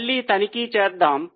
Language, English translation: Telugu, Let us check once again